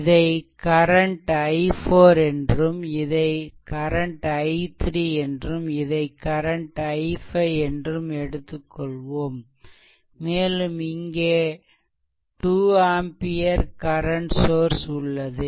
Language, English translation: Tamil, So, this current we took of this current we took of i 4 and this current we took i 3 right and this one we took i 5 one current source is there 2 ampere current source is there